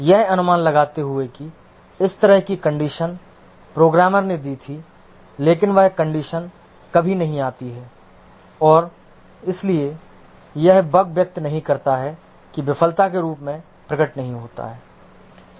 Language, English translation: Hindi, Anticipating that such conditions may occur the programmer had given but that condition never occurs and therefore that bug does not express, does not manifest as a failure